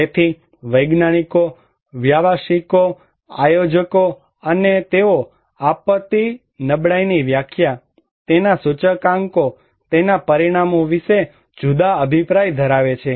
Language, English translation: Gujarati, So, scientists, practitioners, planners, they have different opinion about the definition of disaster vulnerability, its indicators, its parameters